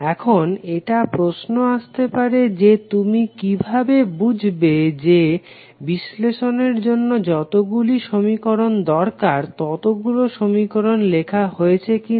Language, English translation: Bengali, Now the question would come how you will verify whether you have written the all the equations which are required for the analysis